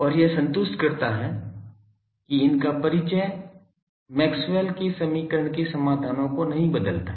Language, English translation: Hindi, and this satisfies the introduction of these does not change the Maxwell’s equation solutions